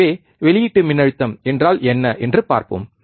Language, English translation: Tamil, So, what is output voltage let us see